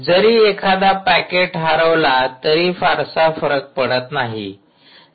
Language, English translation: Marathi, so even if you lose one packet, it doesnt matter, right